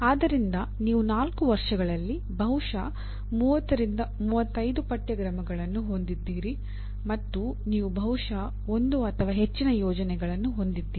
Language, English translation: Kannada, So you have 4 years and possibly 30 35 courses and you have maybe one or more projects